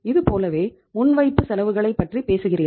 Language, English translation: Tamil, Similarly, you talk about the prepaid expenses